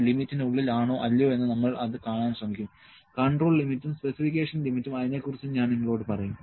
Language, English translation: Malayalam, We will try to see that within whether those are within the limits or not, the two limits control limits and specification limits, I will tell you